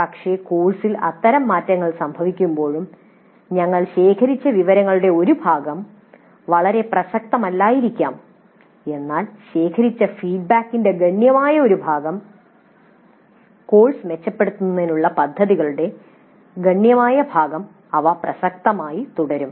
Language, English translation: Malayalam, But even when such changes occur in the course, part of the information that we have collected may not be very much relevant, but a substantial part of the feedback collected, a substantial part of the plans for improving the course, there will remain relevant